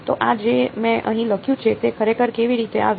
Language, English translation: Gujarati, So, this f m that I wrote over here how did it actually come